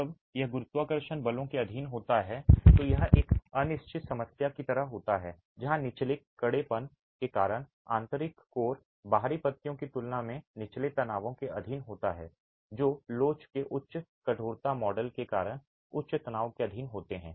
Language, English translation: Hindi, When this is subjected to gravity forces, this is like an indeterminate problem where the inner core because of lower stiffness is subjected to lower stresses in comparison to the outer leaves which are subjected to higher stresses because of higher stiffness, modest velocity